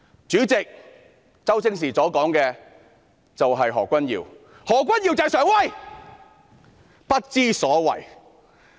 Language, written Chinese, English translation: Cantonese, "主席，周星馳所說的就是何君堯議員，何君堯議員就是常威，不知所謂。, President Stephen CHOW was talking about Dr Junius HO and Dr Junius HO is Sheung Wai